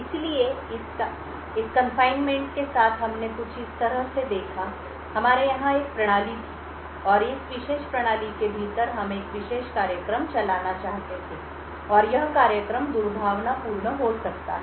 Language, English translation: Hindi, So, with confinement we had looked at something like this, we had a system over here and within this particular system we wanted to run a particular program and this program may be malicious